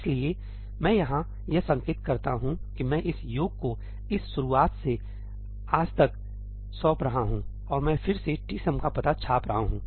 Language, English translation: Hindi, So, I mark here that I am delegating this summation from this start to this end and I am again printing the address of tsum